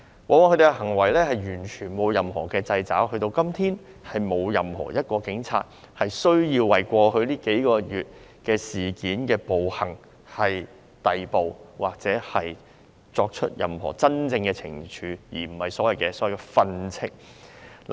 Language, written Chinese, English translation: Cantonese, 他們的行為在過往完全沒有受到任何掣肘，直至今天，也沒有任何一名警員因為過往數個月的事件和暴行而被逮捕或接受任何真正懲處，而並非所謂的"訓斥"。, In the past their behaviour was not subject to any checks and balances and to date not even one police officer is arrested or subject to any genuine disciplinary action . Instead they were merely reprimanded for the incidents and atrocities in the past few months